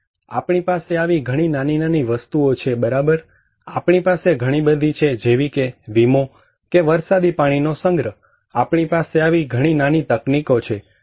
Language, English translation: Gujarati, So, we can have many more such small things right, we have many more such like insurance, like rainwater harvesting, we have many more such small technologies